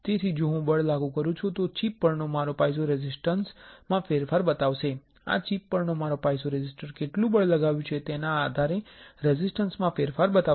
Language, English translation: Gujarati, So, if I apply a force then my piezoresistor on the chip will show a change in resistance right my piezoresistor on this chip will show a change in resistance depending on how much force it can it observes right or it is translated through the tissue